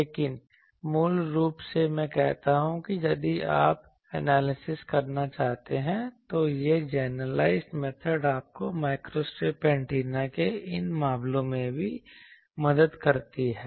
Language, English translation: Hindi, But basically I say that if you want to do the analysis this generalized method helps you even in these cases of microstrip antennas